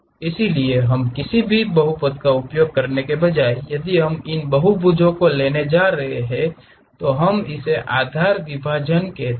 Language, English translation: Hindi, So, instead of using any cubic polynomials, if we are going to have these polygons, we call that as basis splines